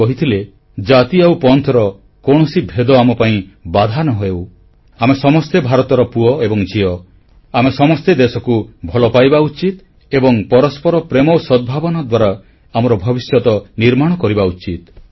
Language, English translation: Odia, He had said "No division of caste or creed should be able to stop us, all are the sons & daughters of India, all of us should love our country and we should carve out our destiny on the foundation of mutual love & harmony